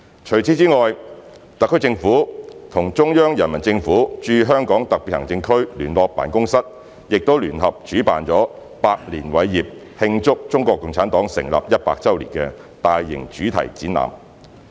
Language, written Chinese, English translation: Cantonese, 除此之外，特區政府與中央人民政府駐香港特別行政區聯絡辦公室亦聯合主辦了"百年偉業―慶祝中國共產黨成立一百周年"的大型主題展覽。, In addition the HKSAR Government and the Liaison Office of the Central Peoples Government in HKSAR jointly organized the thematic exhibition on A Hundred Years of Prosperity and Greatness―Celebrating the 100th anniversary of the founding of the CPC